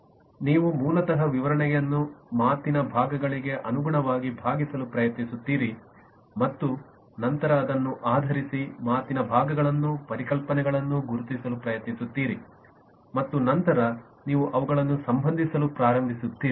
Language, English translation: Kannada, that is, you basically try to parts the description in terms of parts of speech and then, based on the parts of speech, you try to identify concepts and then you start relating them